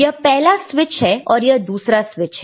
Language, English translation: Hindi, This is one switch and this is another switch right